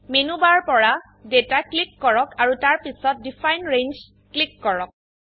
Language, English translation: Assamese, From the Menu bar, click Data and then click on Define Range